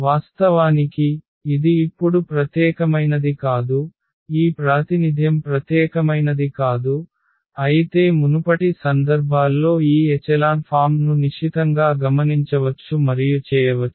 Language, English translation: Telugu, In fact, this it is not unique now this representation is not unique while in the earlier cases one can closely observe and doing this echelon form